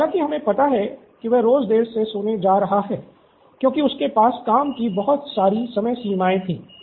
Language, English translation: Hindi, However we realize that he has been going to sleep late because he had too many deadlines